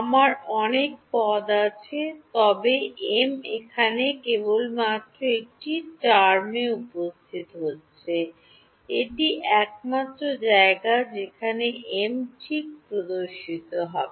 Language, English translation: Bengali, I have so many terms, but m is appearing only in only one term over here, this is the only place where m appears right